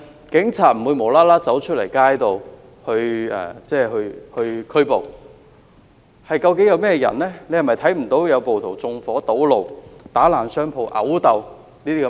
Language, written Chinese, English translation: Cantonese, 警察不會無故上街作出拘捕，他是否看不到暴徒縱火堵路、打爛商鋪、毆鬥等情況呢？, The Police will not arrest people on the street for no reasons . Can he not see how rioters set things ablaze and block roads? . Can he not see how they have vandalized shops and engaged in fights?